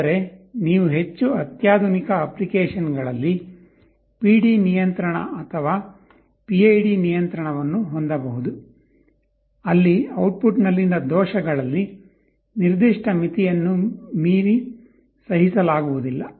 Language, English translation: Kannada, But you can have PD control or PID control in more sophisticated applications, where errors in the output cannot be tolerated beyond the certain limit